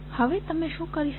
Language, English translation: Gujarati, Now, what you can do